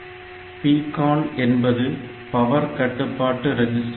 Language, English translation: Tamil, So, PCON is the power control register